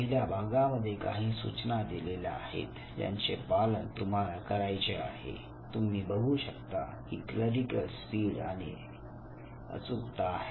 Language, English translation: Marathi, So part one you can see here there are certain instructions that you have to follow, but then as you can make out that this is clerical speed and accuracy